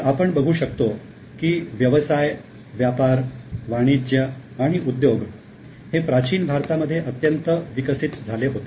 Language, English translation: Marathi, So, we do see that business, trade, commerce and industry all were highly developed in ancient India